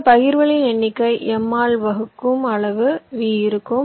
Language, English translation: Tamil, so the number of partitions will be the size of v divide by m